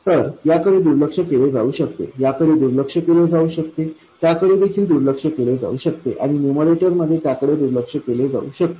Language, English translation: Marathi, So, this can be neglected, this can be neglected, that can be neglected, and in the numerator that can be neglected